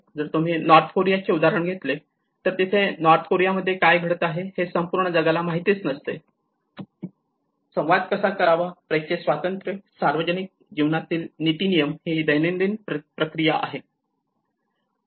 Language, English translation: Marathi, And the press freedom you know like if you take the example of North Korea you know how what is happening in North Korea may not be known to the whole world you know how to communicate with this, the press freedom, ethical standards in public life and these are more of the everyday processes